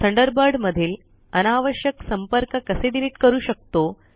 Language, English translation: Marathi, Now, how can we delete unwanted contacts in Thunderbird